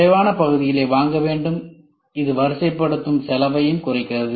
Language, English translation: Tamil, Fewer parts need to be purchased which reduces the ordering cost also